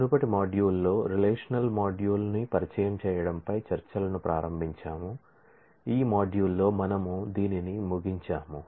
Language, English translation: Telugu, In the previous module, we started discussions on introducing relational model we will conclude that in this module